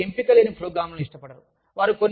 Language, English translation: Telugu, They do not like programs, that do not have, too much choice